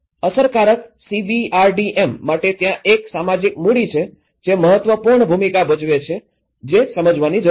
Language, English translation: Gujarati, For an effective CBRDM, one need to understand there is a social capital which plays an important role